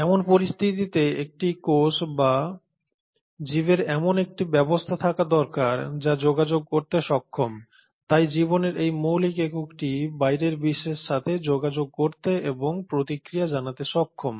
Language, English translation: Bengali, In such a situation a cell or an organism needs to have a system in a place which is capable of doing communication so this fundamental unit of life is also capable of communicating with the outside world and responding to it